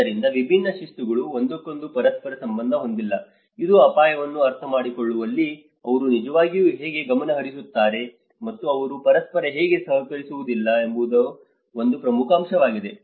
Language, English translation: Kannada, So, different disciplines do not correlate with each other that is one important aspect of how they actually orient themselves in understanding the risk and how they do not collaborate with each other